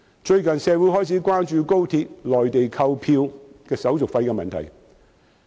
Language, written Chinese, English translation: Cantonese, 最近，社會開始關注高鐵在內地購票的手續費問題。, There has been increasing concern about the handling fee for XRL ticketing in the Mainland